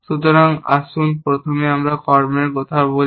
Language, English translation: Bengali, So, let us talk of actions first